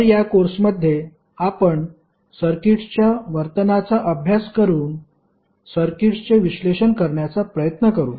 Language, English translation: Marathi, So, what we will study in this course; we will try to analyse the circuit by studying the behaviour of the circuit